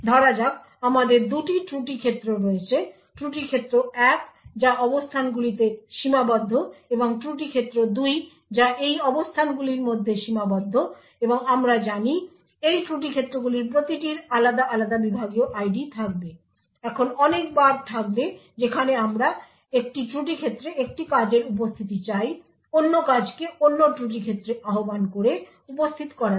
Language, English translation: Bengali, So let us say that we have two fault domains, fault domain 1 which is restricted to these locations and fault domain 2 which is restricted to these locations and as we know each of these fault domains would have different segment IDs, now there would be many times where we would want one function present in one fault domain to invoke another function present in another fault domain